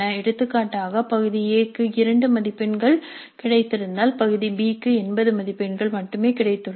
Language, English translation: Tamil, This is one example part A is for 20 marks, part B is for 80 marks so each question in part B is thus for 16 marks